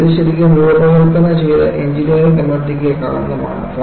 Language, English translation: Malayalam, It is really a sort of a blot on the engineering community which designed it